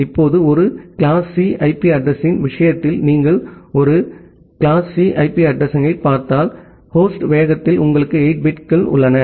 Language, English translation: Tamil, Now, if you look into a class C IP address in case of a class C IP address, you have 8 bits in the host pace